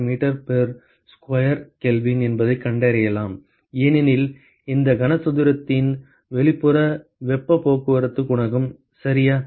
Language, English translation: Tamil, 4 watt per meter square Kelvin, because the heat transport coefficient for the exterior of this cube ok